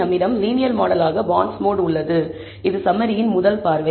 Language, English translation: Tamil, So, we have bondsmod as the linear model, this is the first look at the summary